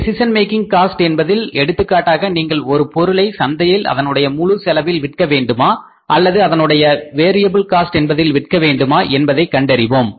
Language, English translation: Tamil, In the decision making cost say for example you try to find out a cost that whether we should sell the product in the market at the full cost or at the variable cost